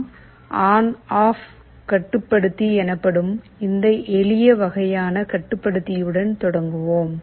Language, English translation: Tamil, Let us start with this simplest kind of controller called ON OFF controller